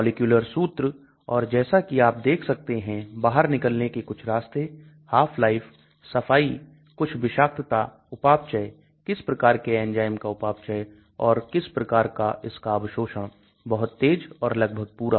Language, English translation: Hindi, The molecular formula and as you can see some of the route of elimination, half life, clearance, some toxicity, metabolism, what type of enzymes metabolize, what is the absorption of this rapid and almost complete